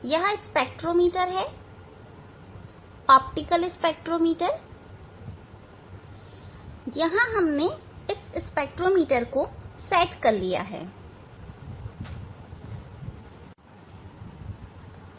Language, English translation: Hindi, this is the spectrometers optical spectrometers